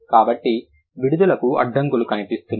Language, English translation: Telugu, So you see there is an obstruction in the release